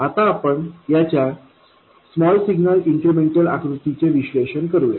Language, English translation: Marathi, Now let's analyze the small signal incremental picture of this